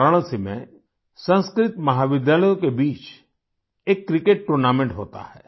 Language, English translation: Hindi, In Varanasi, a cricket tournament is held among Sanskrit colleges